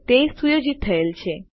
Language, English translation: Gujarati, Okay that has been set